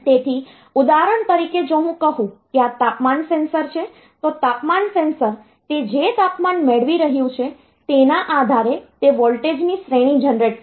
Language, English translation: Gujarati, So, for example, if I say this temperature sensing, so temperature sensor, it will generate a range of voltages depending on the temperature that it is getting